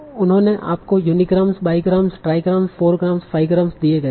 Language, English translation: Hindi, They give you unigrams, pi grams, trigrams, four grams and five grams